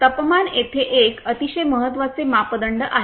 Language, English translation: Marathi, The temperature is a very important parameter here